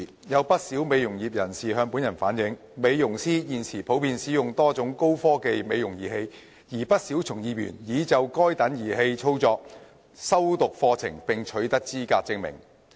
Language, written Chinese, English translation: Cantonese, 有不少美容業人士向本人反映，美容師現時普遍使用多種高科技美容儀器，而不少從業員已就該等儀器的操作修讀課程並取得資格證明。, Quite a number of members of the beauty industry have relayed to me that at present beauticians commonly use various types of high - technology devices for cosmetic purposes and many of them have taken courses and obtained certificates of qualification on the operation of such devices